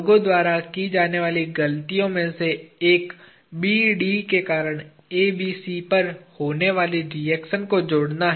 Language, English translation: Hindi, One of the mistakes people do is to add the reaction that occurs on ABC due to BD